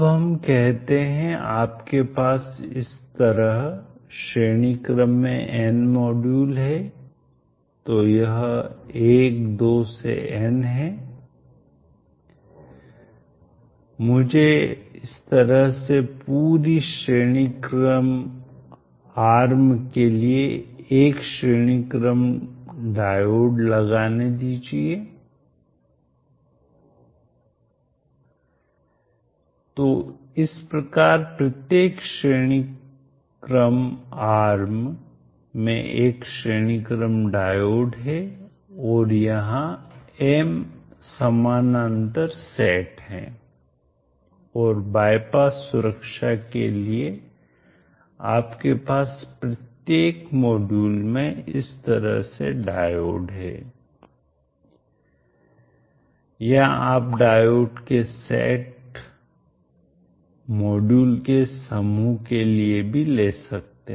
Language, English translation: Hindi, Let us interconnect a big system with modules in both series and parallel, now let us say you have m modules in series like this, so this is 12 n, let me put a series diode like this for the entire series are like this, so each of the theories arm is having one series diode and there are M parallel sets and for bypass protection you have diodes across each of the modules like this or you can have even for group of modules set of diodes